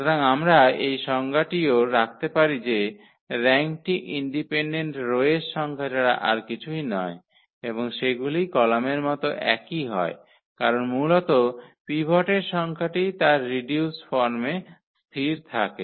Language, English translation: Bengali, So, we can have also this definition that the rank is nothing but the number of independent rows and they are the same the column because the number of pivots are basically fixed in its reduced form